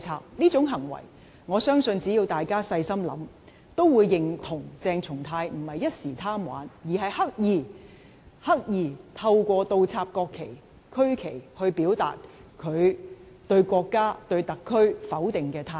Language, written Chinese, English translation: Cantonese, 對於這種行為，我相信只要大家細想，也會認同鄭松泰並非一時貪玩，而是刻意——是刻意——透過倒插國旗及區旗，表達他對國家及特區否定的態度。, As regards such acts I believe Honourable colleagues need only give it some careful thought to agree that CHENG Chung - tai did not act out of a fleeting desire for fun but intentionally―intentionally―expressed his denial of the country and SAR by inverting the national flags and regional flags